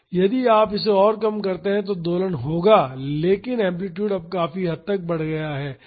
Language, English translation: Hindi, If, you further reduce it there will be oscillation, but the amplitude is increased considerably now